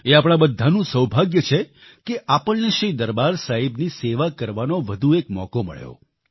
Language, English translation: Gujarati, It is the good fortune of all of us that we got the opportunity to serve Shri Darbaar Sahib once more